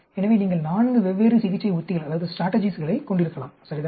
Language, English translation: Tamil, So, you can have four different treatment strategies, right